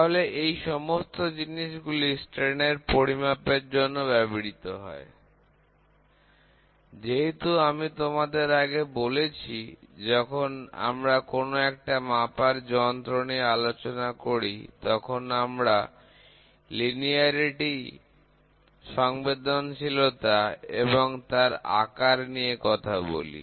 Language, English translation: Bengali, So, all these things are used for measuring strains, ok, as I told you earlier when we talk about any measuring equipment, we try to talk about the linearity, sensitivity and the size